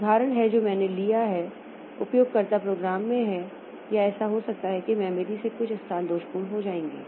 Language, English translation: Hindi, The example that I have taken is in the user program or it may so happen in the memory there are certain locations which become faulty